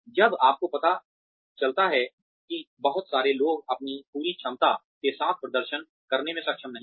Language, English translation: Hindi, When you come to know that, a lot of people are not able to perform, to their full potential